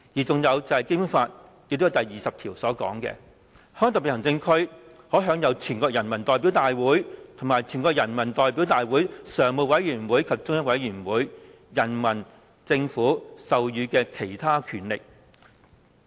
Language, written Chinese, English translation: Cantonese, 再者，《基本法》第二十條訂明，"香港特別行政區可享有全國人民代表大會和全國人民代表大會常務委員會及中央人民政府授予的其他權力"。, Article 20 of the Basic Law provides The Hong Kong Special Administrative Region may enjoy other powers granted to it by the National Peoples Congress the Standing Committee of the National Peoples Congress or the Central Peoples Government